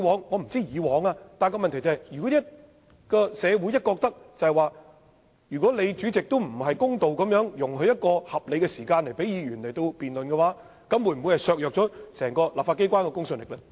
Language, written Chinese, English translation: Cantonese, 我不管以往的做法為何，但如果社會認為主席處事不公，沒有給予議員合理時間進行辯論，這樣會否削弱整個立法機關的公信力？, I do not care about the previous practice but if the community considers the President unfair and has not allowed a reasonable time for Members to debate will this undermine the credibility of the entire legislature?